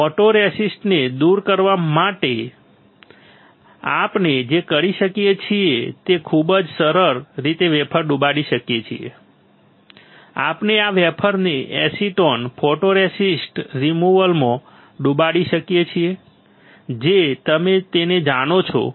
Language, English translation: Gujarati, For removing photoresist very easy what we can do we can dip the wafer, we can dip this wafer into acetone photoresist removal you know it right